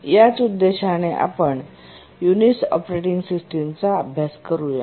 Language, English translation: Marathi, Let's look at using Unix as a real time operating system